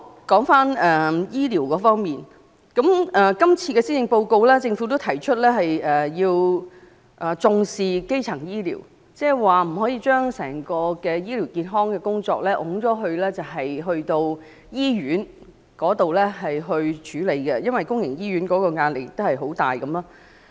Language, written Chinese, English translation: Cantonese, 在醫療方面，今次的施政報告中政府也表示要重視基層醫療，不可將整體醫療健康的工作推卸給醫院處理便算了，因為公營醫院的壓力已經很大。, For health care services the Government has committed in this years Policy Address to enhance primary health care services saying that general medical and health work should not be left to be handled by public hospitals alone because they are already overburdened